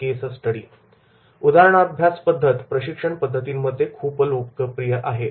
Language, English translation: Marathi, The case study method is very popular in the training methods